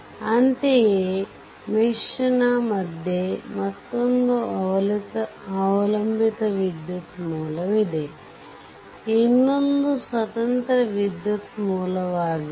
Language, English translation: Kannada, Similarly, between these mesh and these mesh, another dependent current source is there, this is independent current source this is